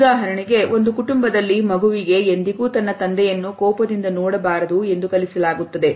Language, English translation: Kannada, For example, in a family a child may be taught never to look angrily at his father or never to show sadness when disappointed